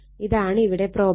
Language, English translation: Malayalam, This is the problem